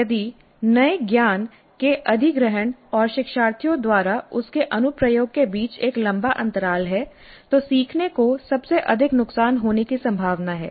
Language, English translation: Hindi, If there is a long gap between the acquisition of the new knowledge and the application of that by the learners the learning is most likely to suffer